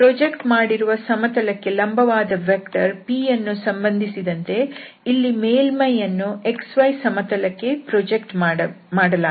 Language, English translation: Kannada, So the p, concerning that vector p which is the normal to the projected plane, so, here we are talking about that this surface is being projected on the x y plane